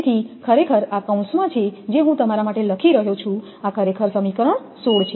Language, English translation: Gujarati, So, this is actually in bracket I am write down for you this is actually equation 16